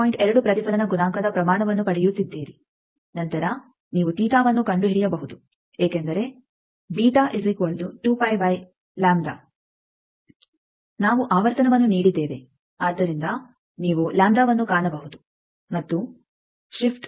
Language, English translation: Kannada, 2 is the reflection coefficient magnitude then theta you can find out because beta means 2 pi by lambda we have given frequency from that you can find lambda and we have to see that shift is 1